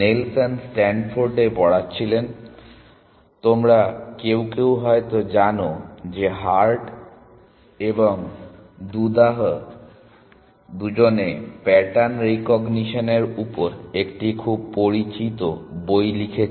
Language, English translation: Bengali, Nelson was teaching at Stanford, Hart some of you may know because Doodah and Hart, they wrote a very well known book on pattern recognition